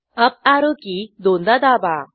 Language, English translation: Marathi, Press the up arrow key twice